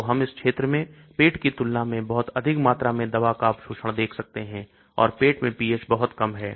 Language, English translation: Hindi, So we can expect lot of drug absorption in this region when compared to say stomach and pH is also very low in the stomach